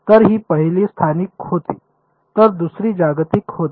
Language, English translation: Marathi, So, this was the first one was local the other one was global